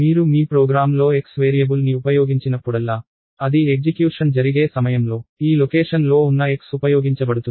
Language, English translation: Telugu, Whenever, you use the variable x in your program, it will during the execution this value, which is contained in this location x is used